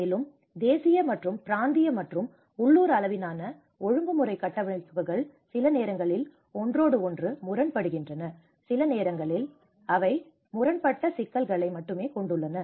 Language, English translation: Tamil, Also, the national and regional and local level regulatory frameworks sometimes they contradict with each other, sometimes they only have conflicting issues